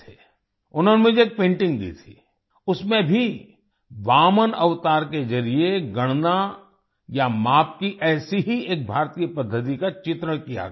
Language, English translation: Hindi, He had given me a painting, in which one such Indian method of calculation or measurement was depicted through Vamana avatar